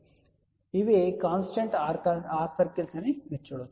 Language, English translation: Telugu, So, you can see that these are the constant r circle